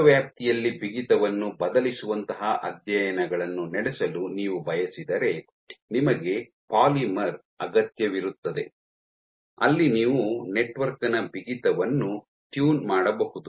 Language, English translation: Kannada, If you want to you want to conduct studies where you are varying the stiffness over a large range you need a polymer where you can tune the stiffness of the network